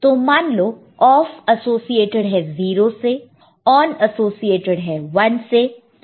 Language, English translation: Hindi, OFF say associated with 0 and, ON with associated with 1